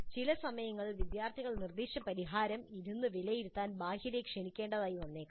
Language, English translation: Malayalam, Sometimes external may have to be invited to sit in and evaluate the solution proposed by the students